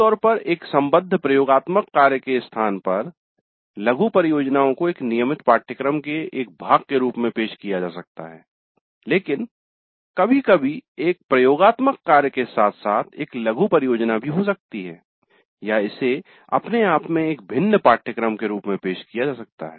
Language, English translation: Hindi, The mini project again can be offered as a part of a regular course usually in the place of an associated lab but sometimes one can have a lab as well as a mini project or it can be offered as a separate course by itself